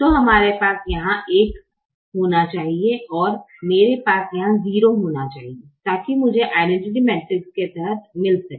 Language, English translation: Hindi, so i should have one here and i should have zero here, so that i get the identity matrix under